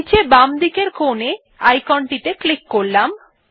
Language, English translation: Bengali, Let us click the icon at the bottom left hand corner